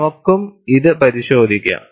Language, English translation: Malayalam, We will also have a look at it